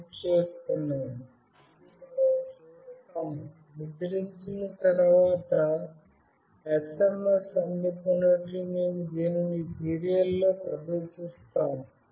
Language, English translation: Telugu, And we see that once this is printed, SMS is received, we display this in the serial